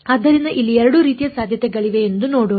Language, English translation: Kannada, So, let us see there are sort of 2 possibilities over here